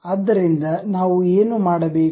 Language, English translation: Kannada, What we have to do